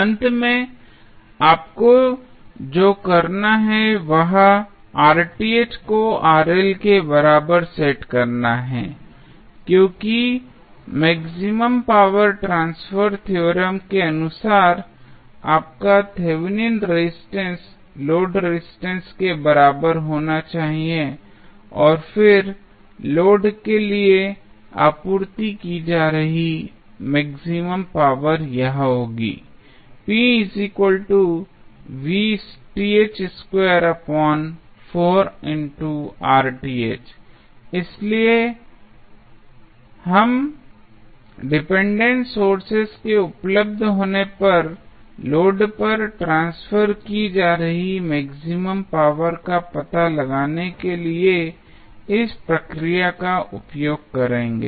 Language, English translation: Hindi, Finally, what you have to do you have to set Rth is equal to Rl because as per maximum power transfer theorem, your Thevenin resistance should be equal to the load resistance and then your maximum power transfer condition that is maximum power transfer being supplied to the load would be given us p max is nothing but Vth square upon Rth upon 4Rth so, will utilize this process to find out the maximum power being transferred to the load when dependent sources are available